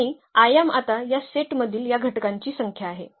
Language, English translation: Marathi, And the dimension now it is a number of these elements in this set